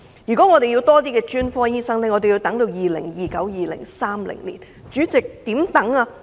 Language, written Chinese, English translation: Cantonese, 如果要更多專科醫生，更要等至 2029-2030 年度。, If we want more specialist doctors we will have to wait till 2029 - 2030